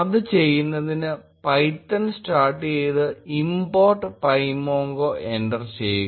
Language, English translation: Malayalam, To do that, start python and enter import pymongo